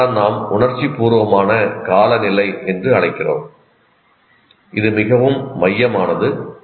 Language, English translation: Tamil, So this is what we call the emotional climate and this is very central